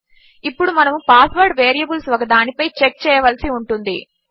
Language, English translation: Telugu, So we only need to check this on one of the password variables